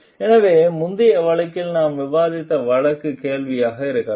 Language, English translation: Tamil, So, the case that we discussed in the earlier case may be the question